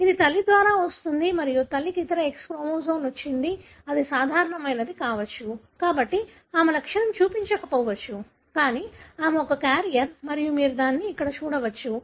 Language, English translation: Telugu, It comes through mother and the mother has got the other X chromosome which could be normal, therefore she may not show a symptom, but she is a carrier and you can see it here